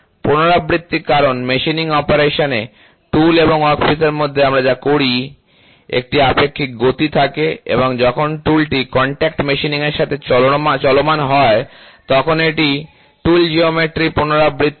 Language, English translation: Bengali, Repetitive because, in machining operation what we do there is a relative motion between tool and the workpiece and as when the tool moves, it is repeating the tool geometry when it starts moving in the contact machining